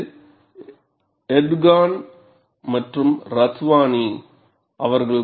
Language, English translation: Tamil, It is given like this, this is by Erdogan and Ratwani